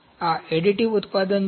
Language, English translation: Gujarati, This is additive manufacturing